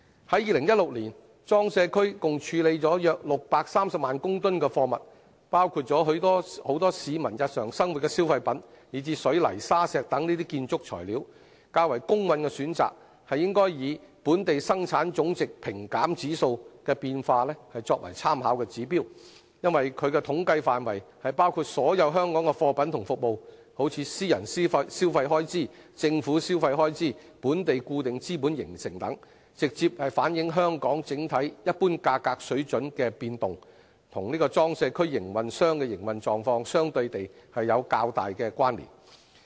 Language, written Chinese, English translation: Cantonese, 在2016年，裝卸區共處理約630萬公噸貨物，包括很多市民日常生活的消費品以至水泥、沙石等建築材料，較公允的選擇是以"本地生產總值平減指數"的變化為參考指標，因其統計範圍包括所有香港的貨品與服務，例如私人消費開支、政府消費開支、本地固定資本形成等，直接反映香港整體一般價格水準的變動，與裝卸區營運商的營運狀況相對有較大的關連。, In 2016 a total of about 6.3 million tonnes of cargo were handled in PCWAs including a large quantity of daily consumer goods as well as building materials like cement sand and stones . It would thus be fairer to use the movement of the Gross Domestic Product Deflator as a reference indicator since the scope of its statistical study covers all goods and services in Hong Kong such as private consumption expenditure government consumption expenditure domestic fixed capital formation and so on . It can directly reflect the overall changes in general price levels in Hong Kong and has a relatively closer relationship with the operating conditions of PCWA operators